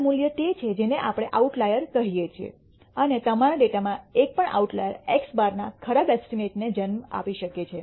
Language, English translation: Gujarati, The bad value is what we call an outlier and even a single outlier in your data can give rise to a bad estimate of x bar